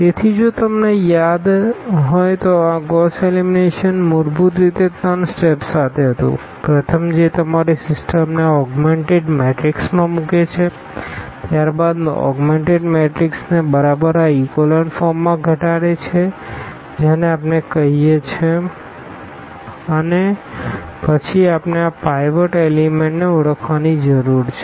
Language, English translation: Gujarati, So, if you remember there this Gauss elimination was basically having three steps – the first one putting your system into this augmented matrix then reducing the augmented matrix exactly into this echelon form which we call and then we need to identify these pivot elements